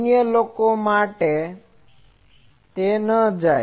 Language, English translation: Gujarati, For others, it may not go